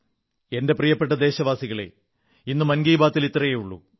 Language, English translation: Malayalam, My dear countrymen, this is all that this episode of 'Mann Ki Baat' has in store for you today